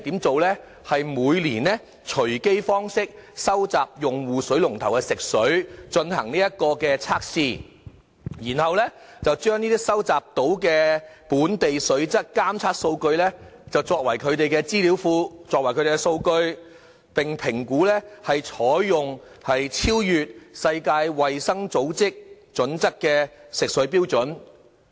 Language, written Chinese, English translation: Cantonese, 只是每年以隨機方式收集用戶水龍頭的食水進行測試，然後把收集的本地水質監測數據，作為他們的資訊庫和數據，評估採用超越世界衞生組織準則的食水標準。, Under the programme WSD will only collect water samples on a yearly basis from drinking taps of randomly selected consumers for testing . The collected local water quality data will be kept in a database and be used as a basis to review the appropriateness of adopting standards beyond World Health Organization Guidelines